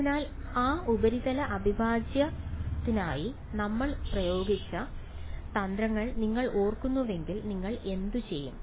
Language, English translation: Malayalam, So, if you recall the tricks that we had used for that surface integral what would you do